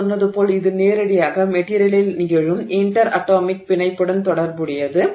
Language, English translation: Tamil, As I said this is directly related to the interatomic bonding that is happening in the material